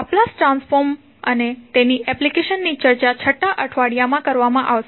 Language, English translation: Gujarati, The Laplace transform and its application will be discussed in the 6th week